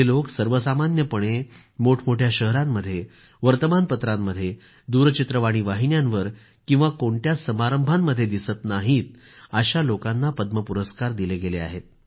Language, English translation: Marathi, You may have noticed that many ordinary people not visible in big cities, in newspapers or on TV are being awarded with Padma citations